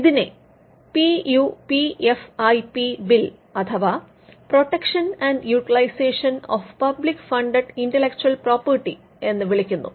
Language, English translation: Malayalam, It was called the PUPFIP bill, it stands for the Protection and Utilization of Public Funded Intellectual Property